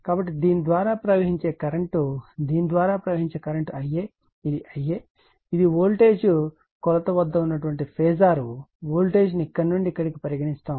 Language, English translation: Telugu, So, current flowing through this actually , current flowing through this , is your I a this is your I a , this is the phasor at voltage measure this we write this voltage from here to here